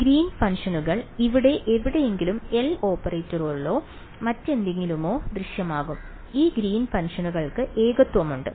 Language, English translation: Malayalam, Green’s functions will appear inside here somewhere in the L operator or whatever, and these greens functions has singularities